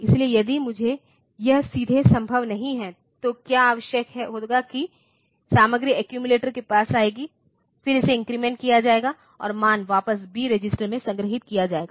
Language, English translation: Hindi, So, if I if this is not possible directly then what will be required is that B content will come to the accumulator, then it will be incremented and the value will be stored back to the B register